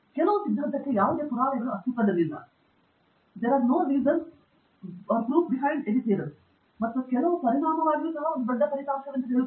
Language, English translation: Kannada, Even saying that there exists no proof for some theorem or for some result is also a great result